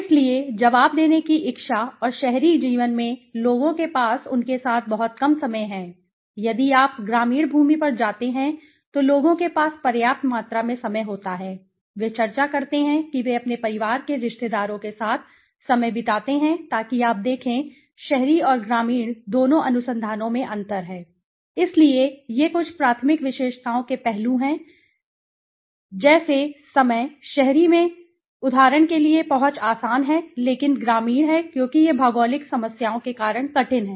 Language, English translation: Hindi, So, willingness to respond and you know in the urban life people have very less time with them on the other hand if you go to a rural land escape people have ample amount of time this they discuss they spend the time with their families relatives and all right so if you look at the differences in both urban and rural research so these are some of the primary characteristics aspects like the time, the accessibility for example in urban it is easy to access but is rural it is tough because of the geographical problems